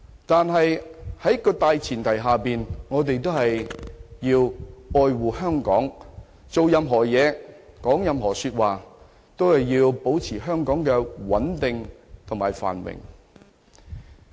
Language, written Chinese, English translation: Cantonese, 但是，大前提是我們要愛護香港，做任何事、說任何話，都要保持香港的穩定與繁榮。, As such whatever we do or say should be in the favour of the maintenance of Hong Kongs stability and prosperity